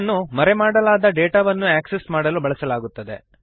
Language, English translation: Kannada, It is used to access the hidden data